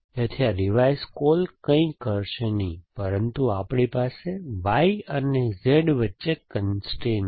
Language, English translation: Gujarati, So, this revise call will not do anything, but we have a constraint between Y and Z, so let us try that